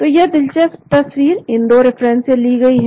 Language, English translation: Hindi, So this interesting picture was taken from these 2 references